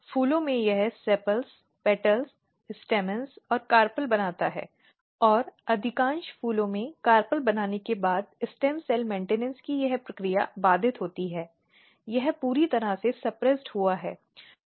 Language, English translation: Hindi, In flowers it makes some fixed organs, sepals, petals, stamens and carpel and after making carpels in most of the flowers this process of stem cell maintenance is inhibited it is totally suppressed